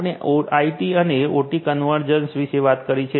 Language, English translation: Gujarati, So, we are talking about IT and OT convergence right